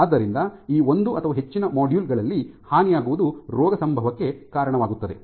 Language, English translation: Kannada, So, either disruption in one or more of these modules will lead to disease context